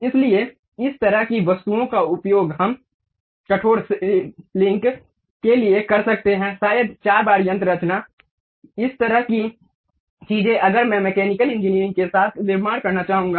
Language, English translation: Hindi, So, these kind of objects we use it for rigid body links maybe four bar mechanism, this kind of things if I would like to really construct at mechanical engineering